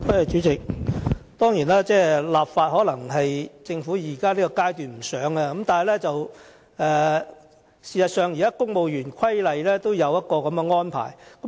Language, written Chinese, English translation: Cantonese, 主席，當然，政府在現階段可能並不想立法，但事實上，現時《公務員事務規例》也有相關的安排。, President of course the Government may not want to enact legislation at this stage but in fact this kind of arrangement can also be found in CSR